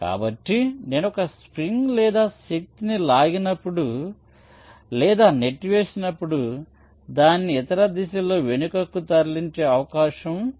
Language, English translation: Telugu, so so whenever i pull or push a spring, or force is exerted which tends to move it back in the other direction, right